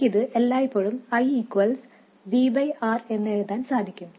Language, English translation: Malayalam, And I could always write this as I equals V by R